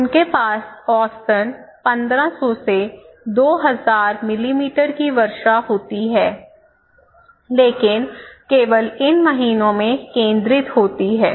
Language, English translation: Hindi, So they have average rainfall of 1500 to 2000 millimetre but concentrated only in these months